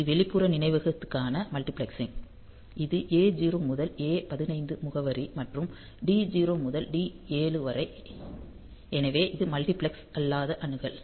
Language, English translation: Tamil, So, this is the multiplexing for external memory; so this is the A 0 to A 15 address and D 0 to D 7; so, this is the non multiplexed access